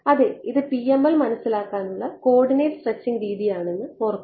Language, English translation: Malayalam, Yeah, but if I make so that the remember that is this coordinate stretching way of understanding PML